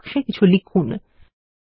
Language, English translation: Bengali, Enter text in these boxes